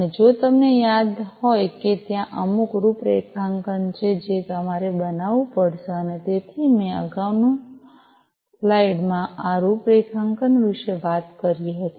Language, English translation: Gujarati, And if you recall that there is some configuration that you would have to make and so I earlier in the slide I talked about this configuration